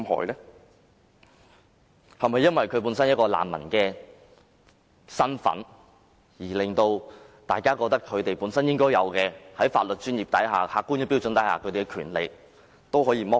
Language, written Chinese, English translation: Cantonese, 是否因為他們的難民身份，令大家認為在法律專業及客觀標準之下，其應有權利可被剝奪？, Has their refugee status made us think that under the objective and professional legal standards in place they should be deprived of the rights they entitled?